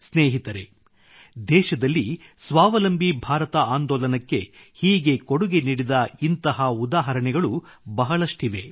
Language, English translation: Kannada, there are many examples across the country where people are contributing in a similar manner to the 'Atmanirbhar Bharat Abhiyan'